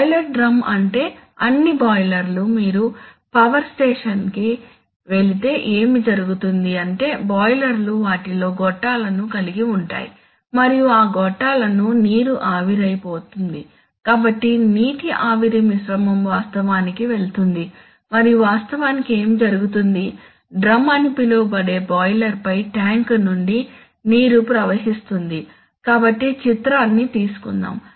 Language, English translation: Telugu, Of an inverse response process, you know, boiler drum means that all boilers, if you go to a power station then what happens is that the boilers have tubes in them and in those tubes water is, water vaporizes, so the water steam mixture actually goes and actually what happens is the water flows from a tank on the boiler which is called the drum, so let us get the picture